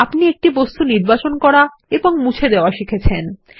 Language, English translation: Bengali, You learnt to select and delete an object